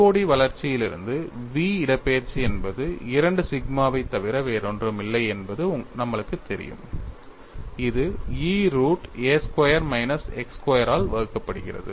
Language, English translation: Tamil, From the COD development, we know the v displacement is nothing but 2 sigma divided by E root of a squared minus x square